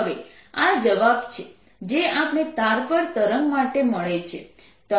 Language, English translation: Gujarati, now this is the answer that we get for ah wave on a string